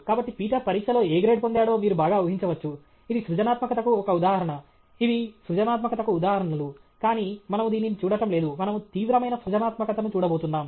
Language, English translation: Telugu, So, you can very well imagine what grade Peter would have got in the exam; this is also an instant of creativity; these are also instances of creativity, but we are not looking at this; we are looking at serious creativity okay